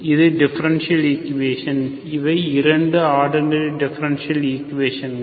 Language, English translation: Tamil, This is, this is the differential equation, these are the 2 ordinary differential equations